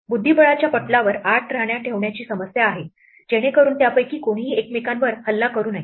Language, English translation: Marathi, The problem is to place 8 queens on a chess board so that none of them attack each other